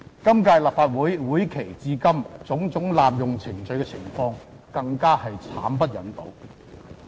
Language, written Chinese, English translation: Cantonese, 今屆立法會會期至今，種種濫用程序的情況更慘不忍睹。, Since the start of this Legislative Session we have witnessed different kinds of appalling procedural abuse